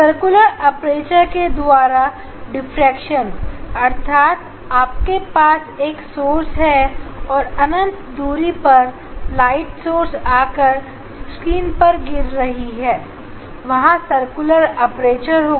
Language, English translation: Hindi, diffraction by a circular aperture; that means, you have a source infinite distance from that source light is coming and falling on this screen where there is a circular aperture